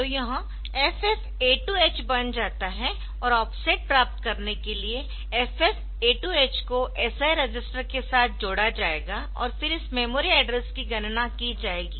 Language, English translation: Hindi, So, these become FFA2 H and with that the FFA2 H will be added with the SI register for getting the offset and then this memory address will be calculated